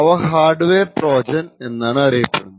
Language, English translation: Malayalam, So, what exactly constitutes a hardware Trojan